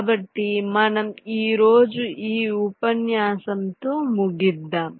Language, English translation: Telugu, so i thing we can just end today this lecture